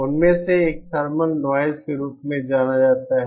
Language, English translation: Hindi, One of them is what is known as a thermal noise